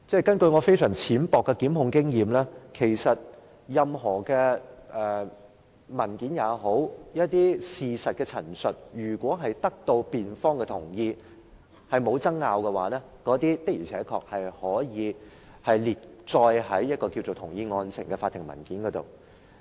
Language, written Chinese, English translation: Cantonese, 根據我非常淺薄的檢控經驗，任何文件或事實的陳述，如果得到辯方的同意、認為沒有爭拗，的確可以列載在"同意案情"的法庭文件上。, As I understand from my limited experience in prosecution any document or statement of fact which is agreed and undisputed by the defence can actually be listed in a judicial document called the Statement of Agreed Facts